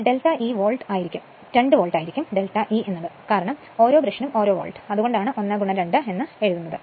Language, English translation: Malayalam, So, but delta E will be 2 volt because, per brush 1 volt that is why, it is written 1 into 2